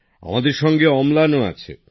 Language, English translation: Bengali, Amlan is also with us